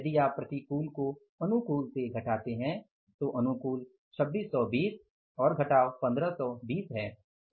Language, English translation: Hindi, So, if you subtract the unfavorable from the favorable, so favorable is 2620 and minus 1520